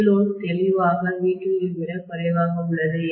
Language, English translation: Tamil, V load clearly is less than V2